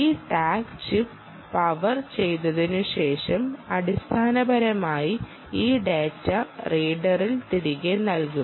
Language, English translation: Malayalam, after this tag chip gets powered, after that chip is powered, the chip basically has to give this data back to the reader